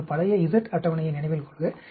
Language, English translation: Tamil, Remember our old z table